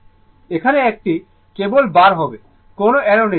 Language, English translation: Bengali, Here, it will be bar only, no arrow right